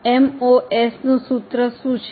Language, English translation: Gujarati, Now what is a formula of MOS